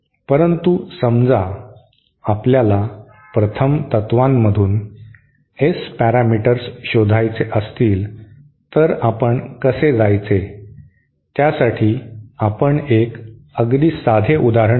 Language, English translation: Marathi, But suppose we want to find out the S parameters from first principles then how do we go so let us take a very simple simple example